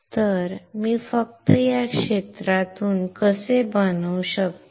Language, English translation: Marathi, So, how can I fabricate this from just this area